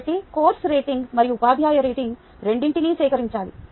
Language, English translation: Telugu, so both the course rating and teacher rating should be collect